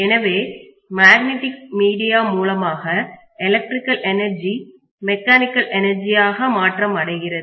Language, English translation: Tamil, So it is converting from electrical energy to mechanical energy through magnetic via media